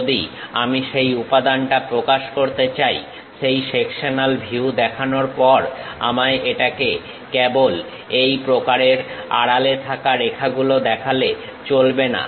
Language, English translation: Bengali, If I want to represent that material, after showing that sectional view I should not just show it by this kind of hidden lines